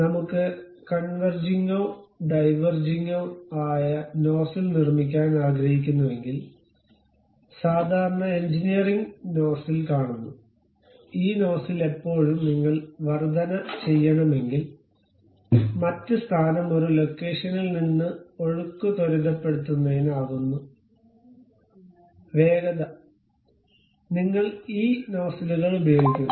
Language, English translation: Malayalam, If I would like to construct a converging diverging kind of nozzles, typically in engineering, we see nozzles, these nozzles always be to accelerate the flow from one location to other location if you want to increase the speed, you use these nozzles